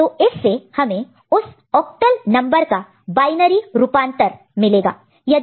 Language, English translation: Hindi, And if you have to convert from binary to octal, so this is the binary number